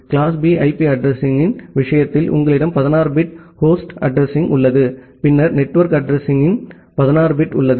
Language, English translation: Tamil, In case of class B IP address, you have 16 bit of host address, and then 16 bit for the network address